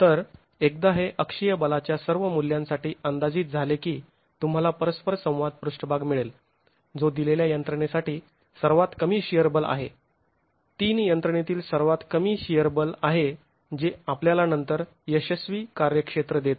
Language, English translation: Marathi, So once this is estimated for all values of axial force, you get the interaction surface which is the lowest shear force for a given mechanism, the lowest shear force of the three mechanisms which then gives you the failure domain itself